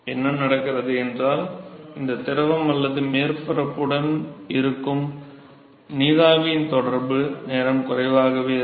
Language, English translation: Tamil, Therefore, what happens is that the contact time that this liquid or the vapor that has with surface is going to be significantly lower